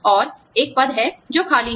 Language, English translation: Hindi, And, there is a position, that is vacant